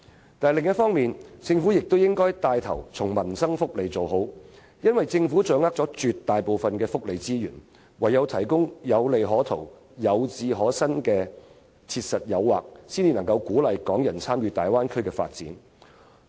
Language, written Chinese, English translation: Cantonese, 不過，另一方面，政府應牽頭做好民生福利，因為政府掌握了大部分福利資源，只有提供有利可圖、有志可伸的切實誘因，才能鼓勵港人參與大灣區發展。, But on the other hand the Government should take the lead to provide satisfactory livelihood and welfare benefits because the Government possesses most of the welfare resources . We can encourage Hong Kong people to participate in the development of the Bay Area only by offering pragmatic incentives that can enable them to make profits and realize their ambitions